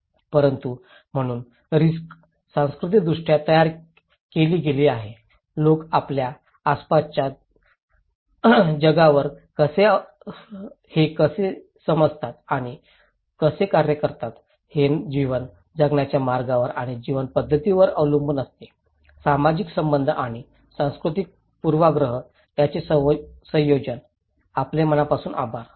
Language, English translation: Marathi, But so risk is culturally constructed, how people perceive and act upon the world around them depends on the way of life and way of life; a combination of social relation and cultural bias, thank you very much